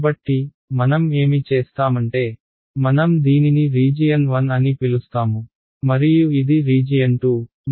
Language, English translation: Telugu, And so, what I will do is, I will call this as region 1 and this is region 2